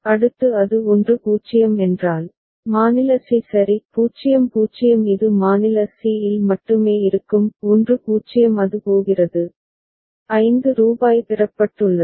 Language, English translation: Tamil, Next if it is 1 0 that means, state c right; 0 0 it will remain at state c only; 1 0 it is going to that means, rupees 5 has been obtained